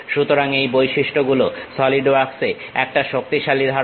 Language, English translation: Bengali, So, these features is a powerful concept in solidworks